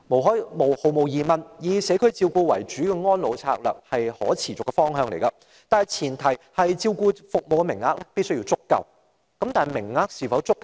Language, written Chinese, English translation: Cantonese, 毫無疑問，以社區照顧為主的安老策略是可持續的方向，但前提是照顧服務的名額必須足夠。, Undeniably the policy of according priority to the provision of home care and community care is a sustainable direction for elderly care . But the prerequisite is that a sufficient quota for such services must be provided